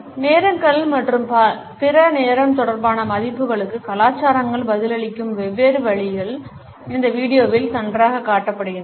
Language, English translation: Tamil, The different ways in which cultures respond to punctuality and other time related values is nicely displayed in this video